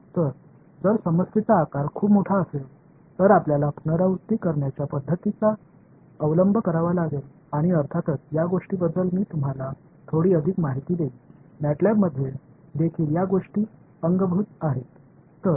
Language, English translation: Marathi, So, if the problem size is very very large you need to resort to iterative methods and as the course goes I will give you little bit more information on these things, MATLAB also has these things in built alright